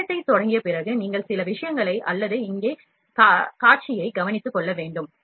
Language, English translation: Tamil, After switching on the machine you have to take care of few things or the display here